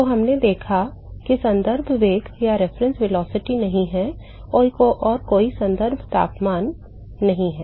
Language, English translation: Hindi, So, we observed that, there is no reference velocity and there is no reference temperature